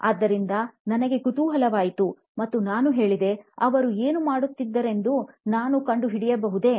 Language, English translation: Kannada, So, I got curious and I said, : can I find out what is it that he is doing